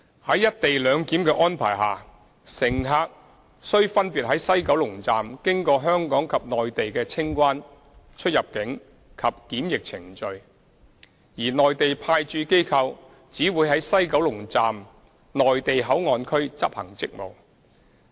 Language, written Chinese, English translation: Cantonese, 在"一地兩檢"安排下，乘客須分別在西九龍站經過香港及內地的清關、出入境及檢疫程序，而內地派駐機構只會在西九龍站"內地口岸區"執行職務。, Under the co - location arrangement passengers will need to undergo Hong Kong and Mainland customs immigration and quarantine procedures in WKS respectively . Mainland Authorities Stationed at the Mainland Port Area will only perform duties and functions in the WKS Mainland Port Area